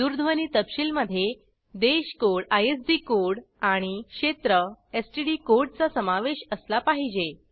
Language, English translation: Marathi, Telephone details should include Country code i.e ISD code and Area/STD code E.g